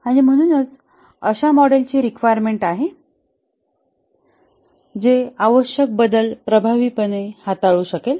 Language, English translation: Marathi, And therefore there is need for a model which can effectively handle requirement changes